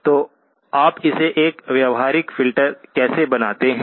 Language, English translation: Hindi, So how do you make this a realizable practical filter